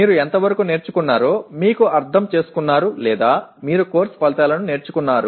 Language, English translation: Telugu, To what extent you have gained, you have understood or you have learnt the course outcomes